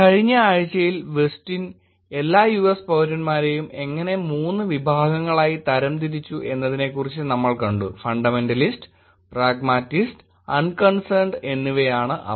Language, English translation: Malayalam, In the last week we saw about how Westin categorized all the US citizens into 3 categories; Fundamentalist, Pragmatists and Unconcerned